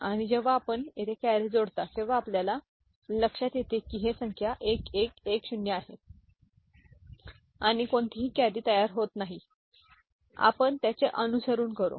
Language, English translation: Marathi, And when you add carry over here by which what we see the number is 1110 and no carry is produced here no carry is produced here